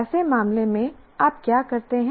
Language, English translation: Hindi, In such case, what do you do